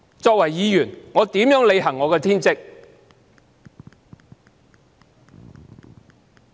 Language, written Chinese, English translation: Cantonese, 作為議員，我如何履行我的天職？, As a Member how can I discharge my inherent duties?